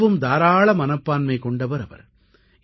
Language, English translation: Tamil, She had a very generous heart